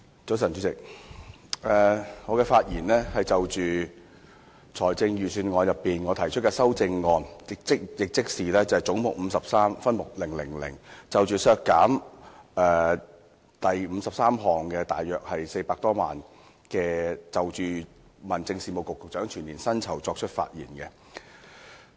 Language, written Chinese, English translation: Cantonese, 早晨，主席，我就着財政預算案提出修正案，議決為削減分目000而將總目53削減大約400多萬元，即削減大約相當於民政事務局局長的全年薪酬開支。, Good morning Chairman . I want to put forward the amendment on reducing head 53 by roughly 4 million in respect of subhead 000 . The reduction is roughly equivalent to the annual emoluments of the Secretary for Home Affairs